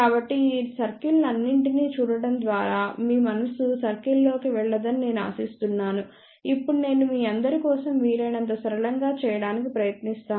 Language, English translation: Telugu, So, I hope that by seeing all these circles your mind does not go into circle, now I try to make things as simple as possible for you people